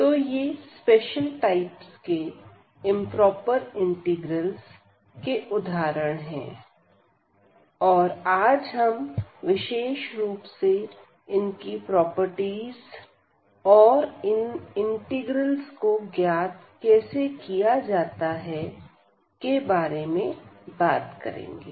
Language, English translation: Hindi, So, these are the special type of examples for improper integrals and today we will be talking about mainly their properties and how to evaluate those integrals